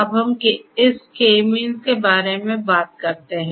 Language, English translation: Hindi, Now, let us talk about this K means